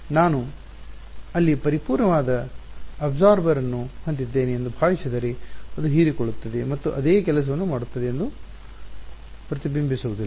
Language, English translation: Kannada, So, it is as though supposing I had a perfect absorber there something that absorbs and does not reflect that would do the same thing